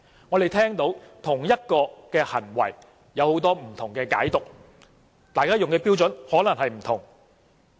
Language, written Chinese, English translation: Cantonese, 我們聽到就同一種行為都有很多不同的解讀，大家用的標準可能不同。, We have come across different interpretations of the same kind of behaviour with perhaps different standards applied by different people